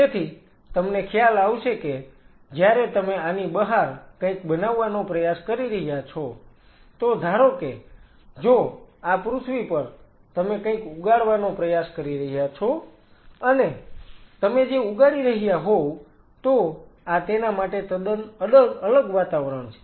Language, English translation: Gujarati, So, you realizing that when you are trying to build something outside this is something, suppose of this is on earth you are trying to grow something and if you are growing this is totally different environment for it